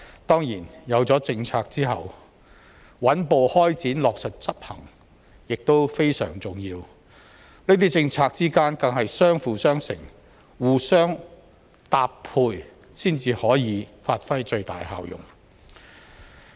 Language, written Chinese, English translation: Cantonese, 當然，有了政策後，穩步開展、落實執行亦非常重要，這些政策之間更是相輔相成，互相搭配才可發揮最大效用。, Certainly apart from these policies a steady start and good execution are also very important . These policies have to be mutually complementary and well - coordinated to deliver the best results